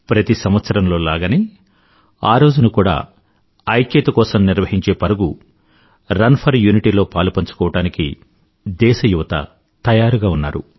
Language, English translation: Telugu, This year too, the youth of the country is all set, to take part in the 'Run for Unity'